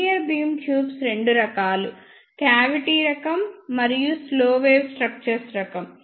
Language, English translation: Telugu, Linear beam tubes are of two types, cavity type and slow wave structure type